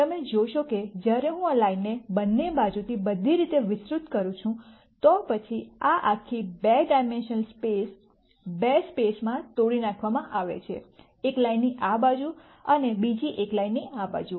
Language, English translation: Gujarati, You see when I extend this line all the way on both sides, then this whole two dimensional space is broken into two spaces, one on this side of a line and the other one on this side of a line